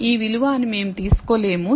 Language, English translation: Telugu, We cannot take it that this value is